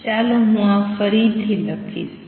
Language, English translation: Gujarati, Let me write this again